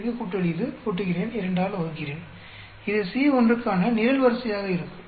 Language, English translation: Tamil, This plus this, add up, divide it by 2, this plus this, add up, divide it by 2 that will be column for C1